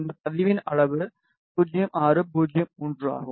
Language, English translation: Tamil, The size of this register is 0603